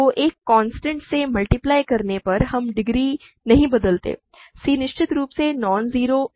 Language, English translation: Hindi, So, by multiplying by a constant, we do not change the degree; c is of course, non zero